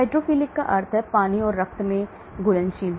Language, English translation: Hindi, Hydrophilic means soluble in water and blood